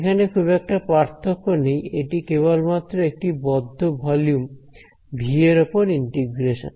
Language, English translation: Bengali, There is not much different over here it is just integration over closed volume V